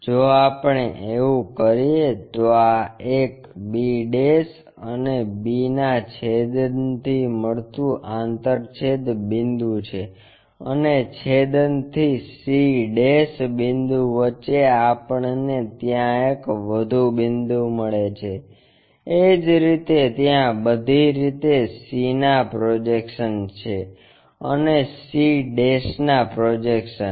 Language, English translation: Gujarati, If we do that the intersection points from b' intersection from b intersection this one, from a intersection and a' intersection gives me one more point there, similarly c projection all the way there, and c' projection to that